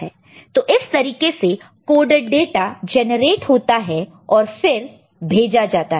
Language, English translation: Hindi, So, this is the way the coded data will be generated and to be sent, ok